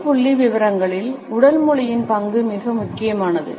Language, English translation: Tamil, In public figures the role of the body language becomes very important